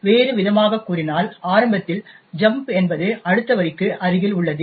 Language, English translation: Tamil, So, in another words initially the jump is just to the next line